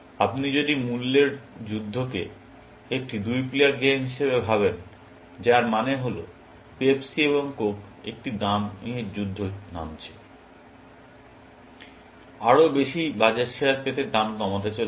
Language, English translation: Bengali, If you think of Price Wars as a two player game, which means, let us say, Pepsi and Coke are getting into a price war, about to decreasing prices to get more market share